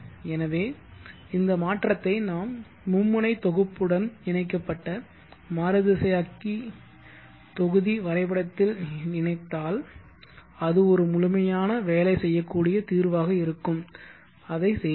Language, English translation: Tamil, So if we incorporate this modification in to our entire 3 phase grid connected inverter block diagram then it will be a complete workable solution, let us do that